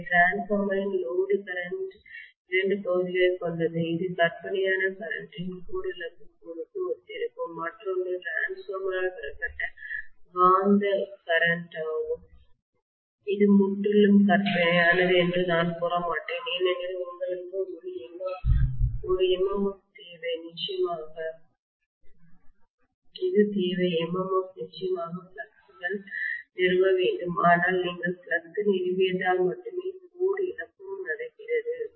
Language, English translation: Tamil, So the no load current of the transformer consist of two portions one will correspond to core loss component of current which is fictitious, and the other one is the magnetising current drawn by the transformer which I would not say is completely fictitious because you need that MMF definitely to establish the flux but only because you establish the flux the core loss is also happening